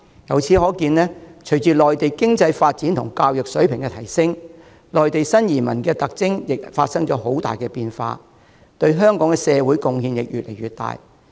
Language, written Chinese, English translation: Cantonese, 由此可見，隨着內地的經濟和教育水平提升，內地新移民的特徵也發生了很大變化，對香港社會的貢獻亦越來越大。, From these we see that alongside the surge of economic and education levels in Mainland China the profile of new Mainland arrivals has undergone profound changes and their contribution to Hong Kong society is getting increasingly significant